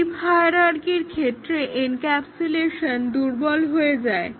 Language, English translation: Bengali, In case of deep hierarchy the encapsulation is weakened